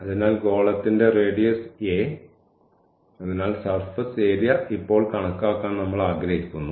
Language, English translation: Malayalam, So, the radius of the a sphere is a; so, we want to compute the surface area now